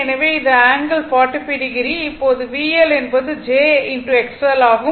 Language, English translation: Tamil, So, it is angle is 45 degree now V L is j into X L